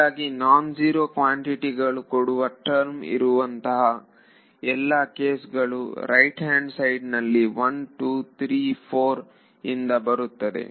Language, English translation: Kannada, So, in this case all the terms that will give you non zero quantities on the right hand side will come from 1 2 3 4 ok